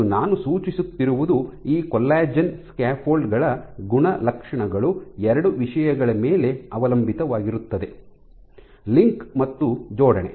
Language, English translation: Kannada, And what I suggest is the properties of these collagen scaffolds depends on two things cross: linking and alignment